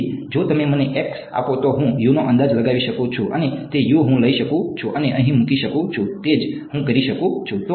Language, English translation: Gujarati, So, if you give me e and if you give me X I can estimate U and that U I can take and put in over here that is what I can do right